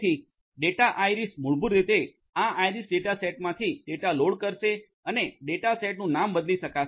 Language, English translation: Gujarati, So, data iris will basically load the data from this iris dataset and rename the data set can be done